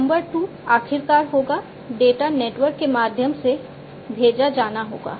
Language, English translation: Hindi, Number 2 would be the finally, the data will have to be sent through the network